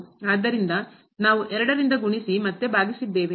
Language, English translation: Kannada, So, we multiplied and divided by 2